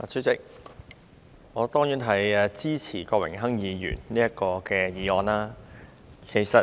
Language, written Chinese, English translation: Cantonese, 主席，我當然支持郭榮鏗議員這項議案。, President I will certainly support Mr Dennis KWOKs motion